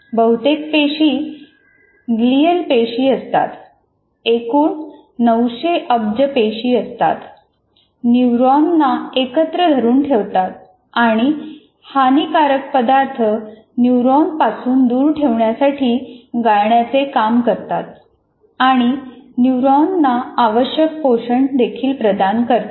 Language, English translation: Marathi, And most of the cells are glial cells, that is, 900 billion cells, they hold the neurons together and act as filters to keep and harmful substances out of the neurons and provide the required nutrition to the neurons as well